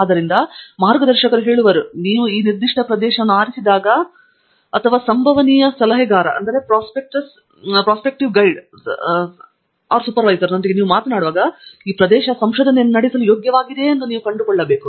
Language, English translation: Kannada, So, here also the guides will tell you, when you pick a certain area and when you are talking to a potential advisor you can find out from the potential advisor, whether it is worth carrying out research